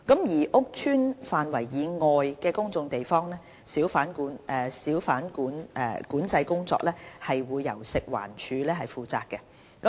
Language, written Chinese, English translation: Cantonese, 而屋邨範圍以外的公眾地方，小販管制工作則由食環署負責。, The hawker control in public areas outside housing estates is undertaken by the Food and Environmental Hygiene Department FEHD